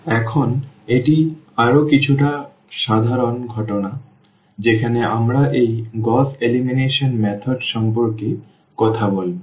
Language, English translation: Bengali, Now, this is a little more general case which we will be talking about this Gauss elimination method